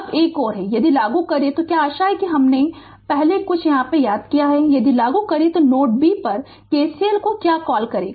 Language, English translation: Hindi, Now, another one is if you apply your what you hope I have not missed anything if you apply your what you call KCL at node b